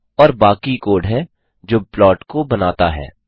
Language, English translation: Hindi, And the rest the code to generate the plot